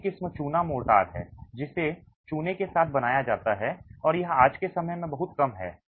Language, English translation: Hindi, The other variety is lime, mortar that is made with lime and this is of course very minimal in use today